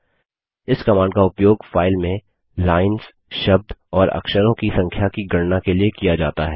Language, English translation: Hindi, This command is used to count the number of characters, words and lines in a file